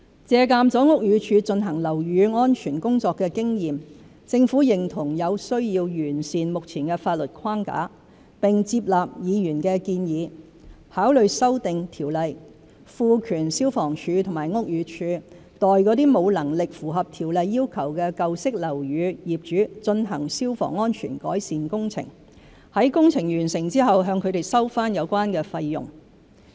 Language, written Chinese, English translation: Cantonese, 借鑒了屋宇署進行樓宇安全工作的經驗，政府認同有需要完善目前的法律框架，並接納議員的建議，考慮修訂《條例》，賦權消防處和屋宇署代沒有能力符合《條例》要求的舊式樓宇業主進行消防安全改善工程，在工程完成後向他們收回有關費用。, Having taken into account BDs experience in the work of building safety the Government agrees that there is a need to improve the existing legal framework . Therefore we accept Members proposal to consider amending the Ordinance to empower FSD and BD to carry out fire safety improvement works for owners of old buildings who are incapable of complying with the requirements of the Ordinance and to recover the costs incurred from such owners upon completion of the works